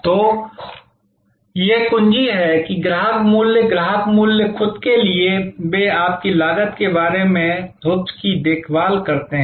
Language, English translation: Hindi, So, this is the key that the customer value, customer value to themselves, they care to hoops about your costs are